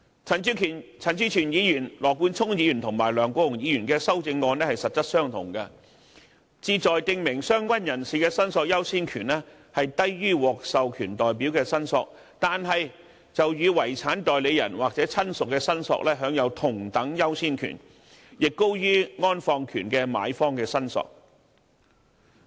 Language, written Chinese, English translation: Cantonese, 陳志全議員、羅冠聰議員及梁國雄議員的修正案是實質相同，旨在訂明相關人士的申索優先權低於獲授權代表的申索，但與遺產代理人或親屬的申索享有同等優先權，亦高於安放權的買方的申索。, The CSAs proposed by Mr CHAN Chi - chuen Mr Nathan LAW and Mr LEUNG Kwok - hung are substantially the same . They seek to provide that the priority of claim of a related person is lower than that of an authorized representative but is equal to that of a personal representative or relative and higher than that of a purchaser of interment right